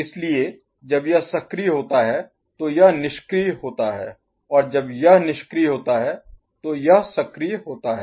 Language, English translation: Hindi, So, when this is active this is inactive and when this is inactive this is active